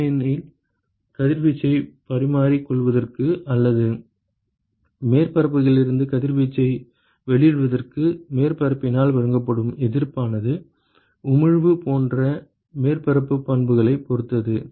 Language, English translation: Tamil, Because the resistance that is offered by the surface to exchange radiation, or to emit radiation from the surface it depends upon the surface property such as emissivity